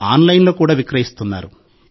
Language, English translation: Telugu, They are also being sold online